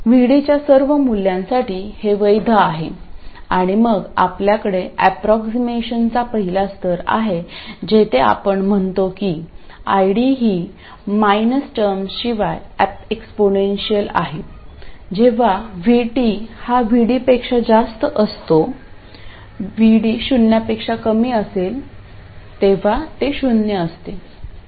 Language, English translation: Marathi, And then we have the first level of approximation where we say that ID is just the exponential without this minus 1 term when VD is much more than VT and it is 0 when VD is less than 0